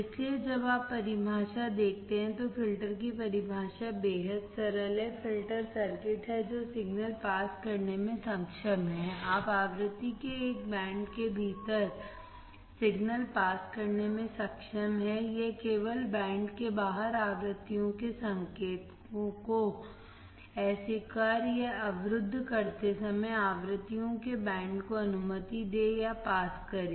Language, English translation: Hindi, So, when you see the definition, the definition of filter is extremely simple, filters are circuit that are capable of passing signals, you can see capable of passing signals within a band of frequency, it will only allow the band of frequencies or to pass while rejecting or blocking the signals of frequencies outside the band